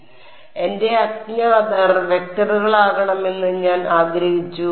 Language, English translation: Malayalam, So, I wanted my unknowns to be vectors